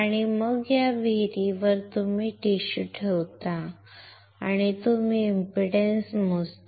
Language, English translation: Marathi, And then on this well you place the tissue and you measure the impedance